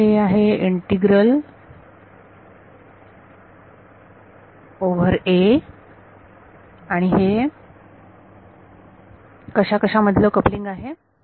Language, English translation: Marathi, So, this integral is over #a and it is the coupling between what and what